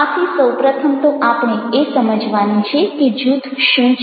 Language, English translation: Gujarati, so first we have to understand what group is